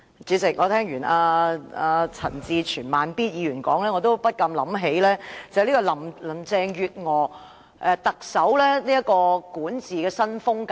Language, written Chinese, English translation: Cantonese, 主席，我聽罷陳志全議員的發言後，便不禁想起特首林鄭月娥的管治新風格。, President after hearing the speech of Mr CHAN Chi - chuen I cannot help but think of Chief Executive Carrie LAMs new style of governance